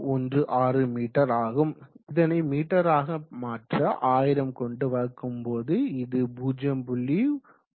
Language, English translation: Tamil, 1mm converting it to meter by multiplying by 1000 will give you 0